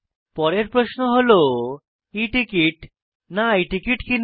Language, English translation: Bengali, The next question is should one buy E ticket or I ticket